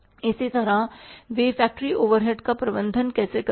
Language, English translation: Hindi, Similarly how they are managing their factory overheads